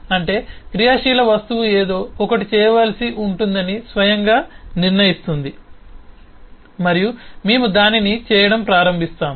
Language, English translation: Telugu, simply means that an active object by itself will decide that something needs to be done, and we will start doing that